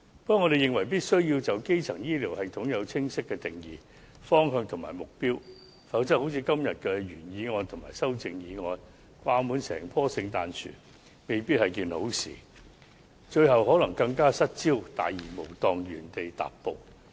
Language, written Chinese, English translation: Cantonese, 不過，我們認為必須就基層醫療系統制訂清晰的定義、方向和目標，否則正如今天的原議案和修正案般，掛滿整棵聖誕樹，未必是好事，最後更可能失焦，大而無當，原地踏步。, But we think that it is necessary to lay down a clear definition direction and target for a primary health care system; or else the result may not be good just like the original motion and amendments today with all sorts of recommendations . In the end it may lose its focus and fail to achieve any concrete results or progress